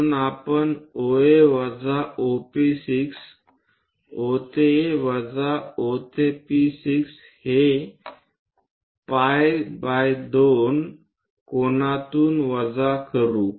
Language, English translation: Marathi, So, we will subtract OA minus OP 6, O to A minus O to P6 by pi by 2 angle